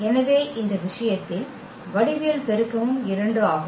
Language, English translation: Tamil, So, the geometric multiplicity is also 2 in this case